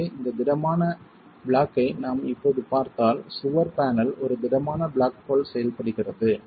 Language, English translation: Tamil, So, if you were to look at this rigid block now, the wall panel acts like a rigid block